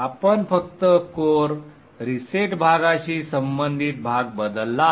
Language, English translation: Marathi, We have changed only the portion corresponding to core reset part